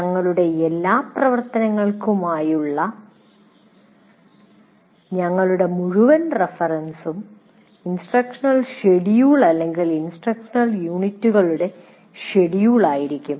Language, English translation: Malayalam, So our entire reference for all our activities will be the instruction schedule or the schedule of instructional units